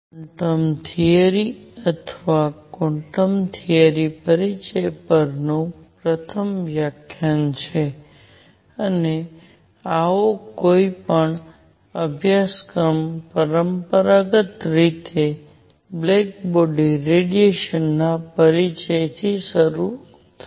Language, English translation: Gujarati, This is first lecture on Quantum Theory or Introduction to Quantum Theory, and any such course traditionally begins with Introduction to Black body Radiation